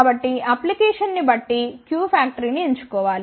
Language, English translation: Telugu, So, depending upon the application q vector should be chosen